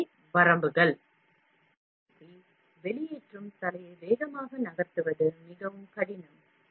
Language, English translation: Tamil, This in turn, would make it more difficult to move the extrusion head faster